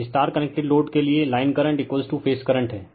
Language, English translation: Hindi, For a star connected load line current is equal to phase current